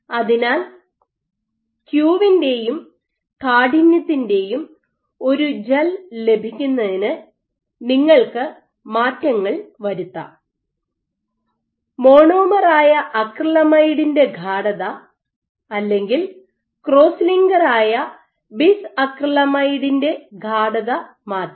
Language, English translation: Malayalam, So, you can tweak in order to get a gel of q and stiffness you can change either the monomer concentration which is your acrylamide or the cross linker concentration which is your bis acrylamide